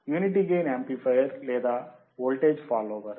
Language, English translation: Telugu, Unity gain amplifier or voltage follower voltage follower